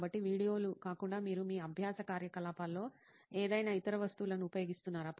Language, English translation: Telugu, So other than videos, do you use any other material in your learning activity